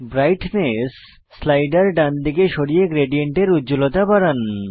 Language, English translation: Bengali, Drag the Brightness slider, to increase the brightness of the gradient